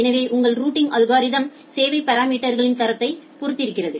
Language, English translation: Tamil, So, your routing algorithm is also depending on the depends on the quality of service parameters